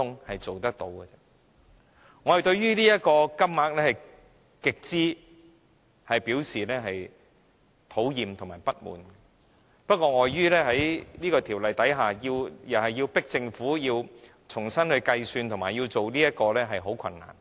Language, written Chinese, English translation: Cantonese, 我們對這個金額表示極端討厭和不滿，不過，礙於在這《條例》下，要迫使政府重新計算和考慮，將會十分困難。, We are highly dissatisfied with this amount which we find it disgusting . However it will be terribly difficult to compel the Government to re - calculate and reconsider the amount under the Ordinance